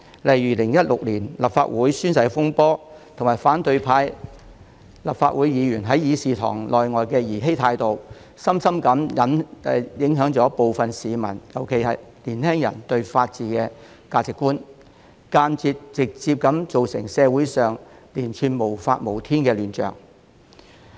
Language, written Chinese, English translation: Cantonese, 例如立法會2016年的宣誓風波及立法會反對派議員在議事堂內外的兒嬉態度，深深影響部分市民，尤其是年輕人對法治的價值觀，間接及直接地造成社會上連串無法無天的亂象。, For instance the oath - taking incident of the Legislative Council in 2016 and the frivolous attitude adopted by Legislative Council Members from the opposition camp inside and outside the Chamber have deeply affected the values of some members of the public especially young people towards the rule of law which has indirectly and directly given rise to the series of lawless chaos in society